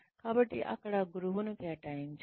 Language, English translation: Telugu, So, there should be some mentor assigned